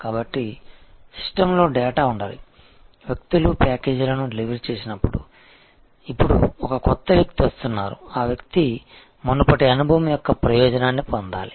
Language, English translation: Telugu, So, there must be data in the system that when people have delivered packages are earlier to me and now, new person comes that person should get that advantage of the previous experience